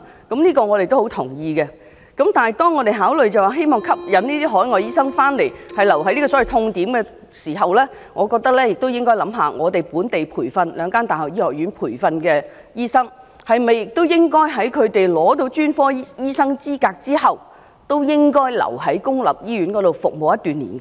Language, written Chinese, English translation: Cantonese, 然而，當我們考慮到我們吸引這些海外醫生回港，就是希望他們留在這個所謂"痛點"服務時，我們認為更應思考是否應該要求兩間本地大學醫學院培訓的醫生，在他們取得專科醫生資格後，同樣留在公立醫院裏服務一定年期？, However when we are considering ways to attract these overseas doctors to return stay and serve in Hong Kong to address the pain point we should also consider if we need to require doctors who are trained in the medical schools of the two local universities to stay and serve in any public hospitals for certain years after they have obtained the relevant specialist qualifications